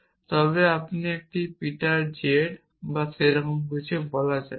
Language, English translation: Bengali, So, a let us say Peter z or something